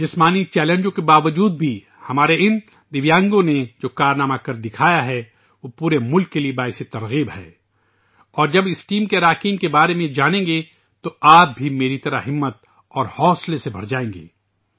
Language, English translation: Urdu, Despite the challenges of physical ability, the feats that these Divyangs have achieved are an inspiration for the whole country and when you get to know about the members of this team, you will also be filled with courage and enthusiasm, just like I was